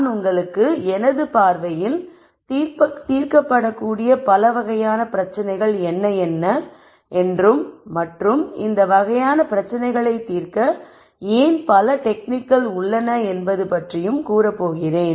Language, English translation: Tamil, What I am going to do is I am going to give you my view of the types of problems that are being solved and why there are so many techniques to solve these types of problems